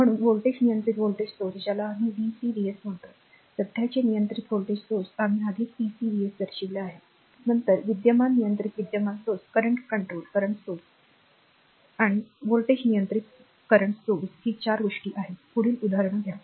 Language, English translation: Marathi, So, voltage controlled voltage source we call VCVS, current controlled voltage source already we have shown CCVS, then current controlled current source CCCS and voltage controlled current sources VCCS right these are the 4 thing, next you take another example